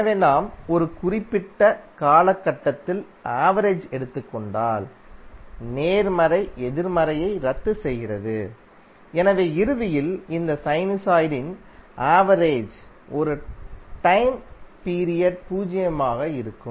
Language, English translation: Tamil, So if you take the average over a particular time period t the possible cancel out negative, so eventually the average of this sinusoid over a time period would remain zero